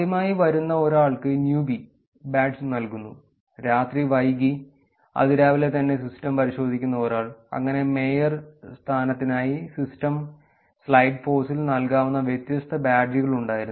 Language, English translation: Malayalam, Badges are first time person who came gets a newbie badge, so to say, and somebody who checks in to the system late in the night, early in the morning, there were different badges that were that could be actually given in system slide force for mayorship